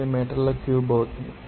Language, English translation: Telugu, 59 meter cube